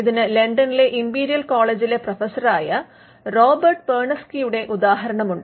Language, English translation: Malayalam, Now, we have the example of Robert Perneczky, the professor in Imperial College London